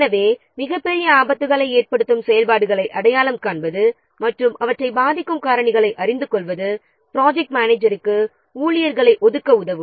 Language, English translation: Tamil, So, identifying the activities which are posing the greatest risks and knowing the factors which are influencing them will help the project manager to allocate the staff